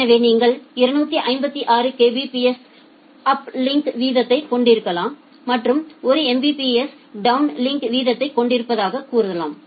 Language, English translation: Tamil, So, it will say that you can have 256 Kbps of uplink rate and say 1 Mbps of downlink rate